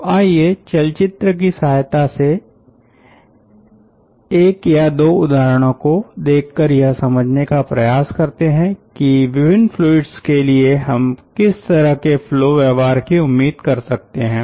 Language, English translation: Hindi, so let us look into, may be, one or two ah examples with movies to understand that what type of ah flow behaviour we are going to expect for different fluids